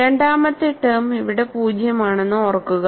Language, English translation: Malayalam, Mind you the second term is 0 here